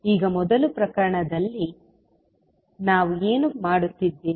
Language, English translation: Kannada, Now in first case, what we are doing